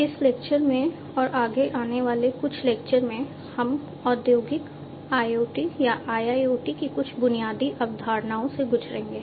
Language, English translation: Hindi, In this lecture and few others to follow, we will be going through some of the basic concepts of industrial IoT or IIoT